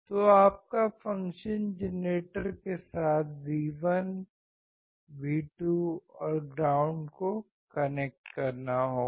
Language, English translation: Hindi, So, you have to connect V1, V2 and ground with the function generator